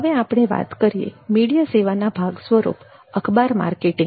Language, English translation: Gujarati, next we go to newspaper marketing part of media services marketing